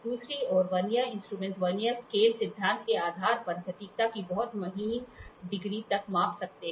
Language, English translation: Hindi, On the other hand, Vernier instruments, based on Vernier scale principle can measure up to a much finer degree of accuracy